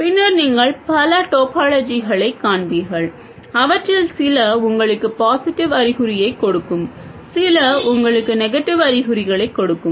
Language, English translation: Tamil, Later you will see many other topologies, some of which will give you positive signs, some of which will give you negative signs